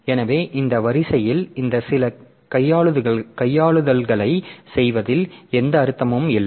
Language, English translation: Tamil, So, that way there is no point in trying to do some manipulation in this ordering